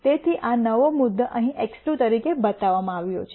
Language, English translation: Gujarati, So, this new point is shown here as X 2